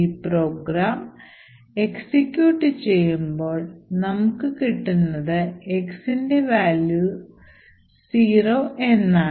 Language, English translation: Malayalam, Now when we run this particular program what we see is that we obtain a value of x is zero